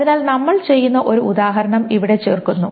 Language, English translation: Malayalam, So here is an example that we will do